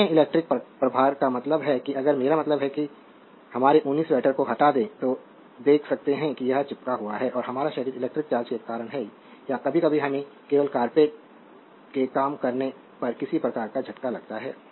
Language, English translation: Hindi, Other electrical charge I mean if you I mean when remove our your woolen sweater, you know you can see that it is your sticking and our body this is due to the electric charge or sometimes so, we get some kind of shock when you are working you know you receive a shock when you are working only carpet